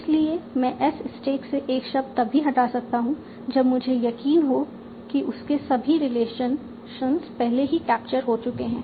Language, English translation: Hindi, So I can remove a word from the stack only if I am sure that all its relations have already been captured